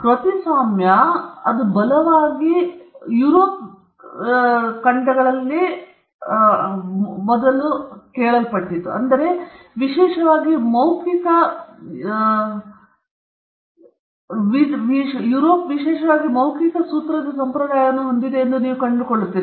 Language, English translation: Kannada, In the sense that copyright, when it evolved as a right, if you look behind it or before it, you will find that, Europe especially, had an oral formulaic tradition